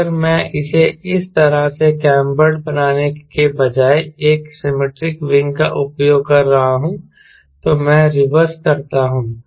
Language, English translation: Hindi, if i am using a symmetric wing, instead of making it cambered like this, i do reverse